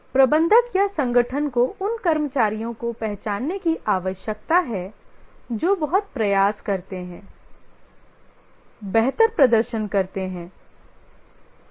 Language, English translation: Hindi, The manager or the organization need to recognize employees who put lot of effort, so superior performance